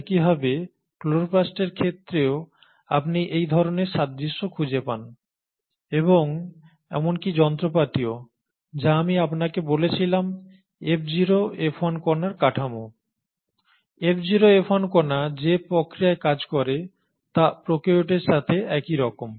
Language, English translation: Bengali, Similarly you find the same sort of analogy in case of chloroplast and even the machinery which I spoke to you, the structure of F0 F1 particle, the mechanism by which the F0 F1 particle functions, has remained very similar to that of prokaryotes